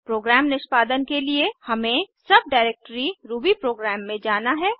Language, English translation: Hindi, To execute the program, we need to go to the subdirectory rubyprogram